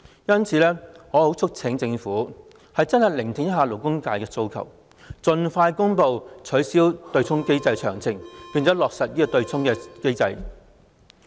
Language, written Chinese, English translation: Cantonese, 因此，我促請政府真正聆聽勞工界的訴求，盡快公布取消對沖機制的詳情，落實取消對沖機制。, In this connection I urge the Government to truly listen to the aspirations of the labour sector and expeditiously make public the details of the abolition of the offsetting mechanism in order to implement arrangements for its abolishment